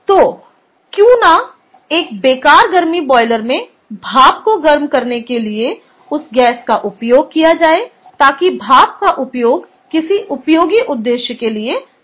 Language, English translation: Hindi, so why not use that gas to heat up steam in a waste heat boiler so that the steam can be used for some useful purpose